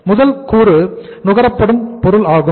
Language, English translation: Tamil, First component is the material consumed